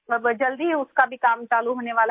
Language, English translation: Hindi, Now that work is also going to start soon